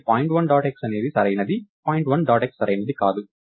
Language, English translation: Telugu, So, point1 dot point1 dot x is ok point dot x is not point do point2 dot y is ok point dot y is not